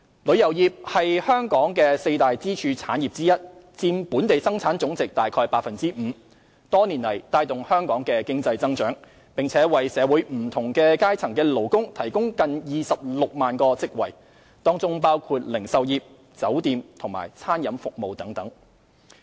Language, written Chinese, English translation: Cantonese, 旅遊業是香港四大支柱產業之一，佔本地生產總值約 5%， 多年來帶動香港的經濟增長，並為社會不同階層的勞工提供近26萬個職位，當中包括零售業、酒店及餐飲服務等。, Tourism is one of the four pillar industries in Hong Kong which constitutes approximately 5 % of the Gross Domestic Product GDP . Over the years the tourism industry has been the engine of economic growth in Hong Kong and has provided nearly 260 000 job opportunities for workers from various strata of society including the retail industry and hotel and catering services and so on